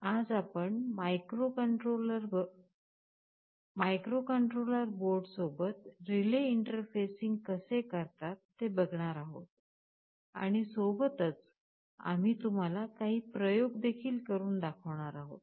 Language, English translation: Marathi, We shall be talking about relay interfacing with microcontroller boards and we shall be showing you some experiments and demonstration